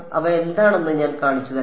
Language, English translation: Malayalam, I will show you what their